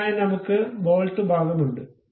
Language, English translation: Malayalam, So, we have that bolt portion